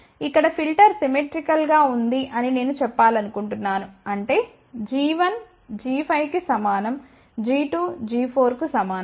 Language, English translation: Telugu, 618 what I want to just mention here that the filter is symmetrical so; that means, g 1 is equal to g 5